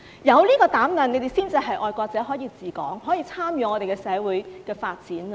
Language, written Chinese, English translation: Cantonese, 有這個膽量才是愛國者，才可以治港，才可以參與社會的發展。, Only if you have this courage are you considered a patriot who is eligible to administer Hong Kong and take part in its development